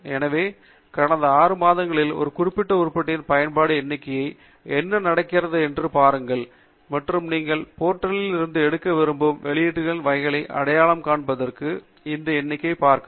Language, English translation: Tamil, So you can look at what happens to the usage count of a particular item in the last six months and look at that number to guide you to identify the kind of publication that you want to pick up from the portal